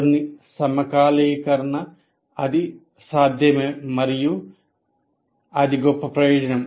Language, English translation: Telugu, So, there is certain synchronization that is possible and that is the greatest advantage